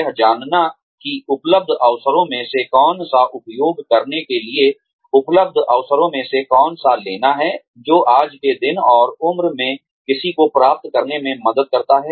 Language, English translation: Hindi, Knowing, which of the available opportunities to take, which of the available opportunities to make use of, is what helps one achieve, one's goals, in today's day and age